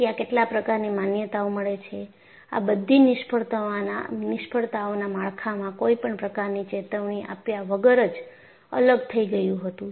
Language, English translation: Gujarati, There are certain commonalities: In all these failures,the structure, in concern got separated without much warning